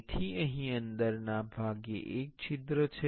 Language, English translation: Gujarati, So, here the inside part inside is a hole